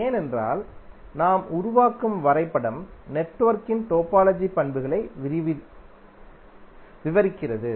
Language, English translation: Tamil, Because the graph what we are creating is describing the topological properties of the network